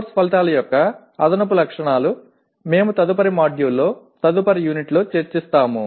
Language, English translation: Telugu, But the additional features of course outcomes we will explore in the next module, next unit actually